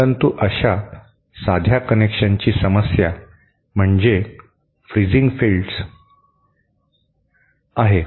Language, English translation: Marathi, But the problem with such a simple connection is fringing fields